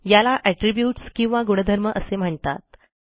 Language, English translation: Marathi, These are called characteristics or attributes